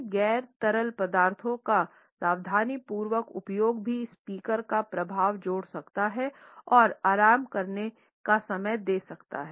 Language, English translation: Hindi, A careful use of these non fluencies can also add to the fluency of the speaker and give a time to relax